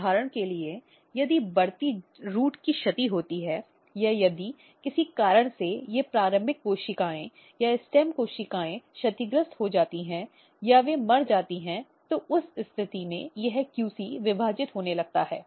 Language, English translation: Hindi, So, for example, if you look if there is a damage of the growing root or if due to some reason, if the these initial cells or the stem cells are damaged or they are dead, then under that condition this QC basically start dividing